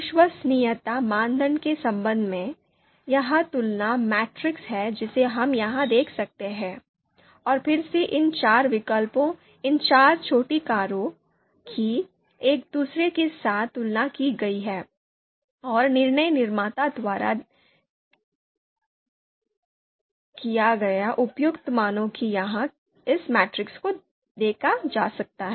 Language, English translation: Hindi, With respect to reliability criterion, this is the comparison matrix we can see here, and again these four alternatives, these four small cars, have been compared with each other and the appropriate values as given the by decision maker can be seen here in this matrix